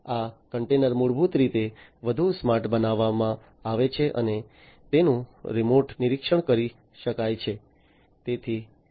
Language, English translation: Gujarati, These containers are basically made smarter and they can be monitored remotely